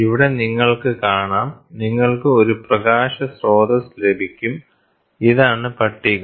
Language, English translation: Malayalam, You can see here, this is the, you can have a light source; this is the table this is a table